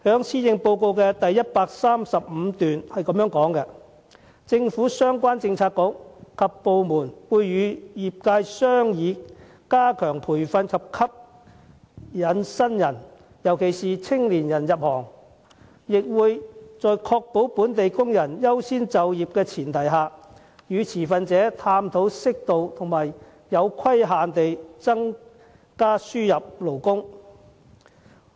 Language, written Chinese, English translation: Cantonese, 施政報告第135段提到："政府相關政策局及部門會與業界商議加強培訓及吸引新人入行，亦會在確保本地工人優先就業的前提下，與持份者探討適度和有規限地增加輸入勞工"。, In paragraph 135 of the Policy Address the Chief Executive says relevant policy bureaux and departments will discuss with relevant industries ways to enhance training and attract new recruits especially young people . On the premise that local workers priority for employment will be safeguarded we will also explore with stakeholders the possibility of increasing imported labour on an appropriate and limited scale